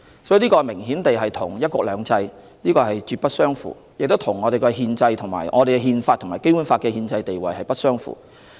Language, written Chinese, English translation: Cantonese, 所以，這明顯與"一國兩制"絕不相符，也與我們的《憲法》和《基本法》的憲制地位不相符。, Apparently this is inconsistent with one country two systems and also incompatible with the Constitution and the constitutional status of the Basic Law